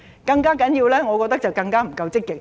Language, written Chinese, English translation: Cantonese, 更重要的是，我覺得政府不夠積極。, More importantly I do not think the Government is proactive enough